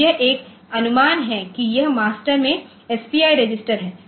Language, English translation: Hindi, So, this is a suppose this is the SPI register in the master